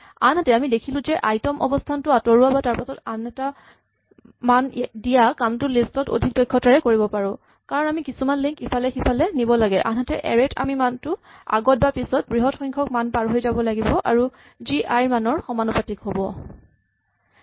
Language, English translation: Assamese, On the other hand as we have already seen, if you want to delete the value at position i or insert the value after position i this we can do efficiently in a list because we just have to shift some links around, whereas in an array we have to do some shifting of a large bunch of values before or after the thing and that requires us to take time proportional to i